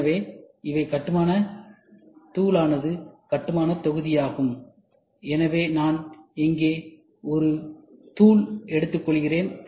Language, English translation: Tamil, So, these are building block powder building block, so I take a powder here